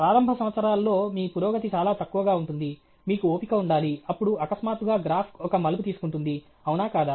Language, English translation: Telugu, In the initial years, your progress will be very less, you should have patience, then suddenly the graph takes a turn; isn’t it